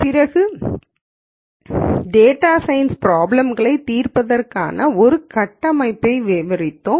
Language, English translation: Tamil, After that we described a framework for solving data science problems